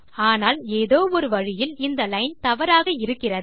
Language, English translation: Tamil, But in a way, there is something wrong with that line